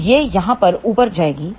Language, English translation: Hindi, So, this will go up over here